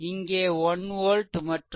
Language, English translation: Tamil, We have taken 1 volt and i 0 is equal to 6